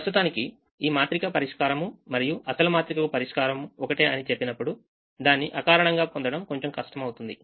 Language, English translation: Telugu, now i am going to say that the solution to this matrix and the solution to this matrix are the same